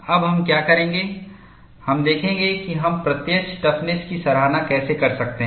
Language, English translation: Hindi, Now, what we will do is, we will look at how we can appreciate the apparent toughness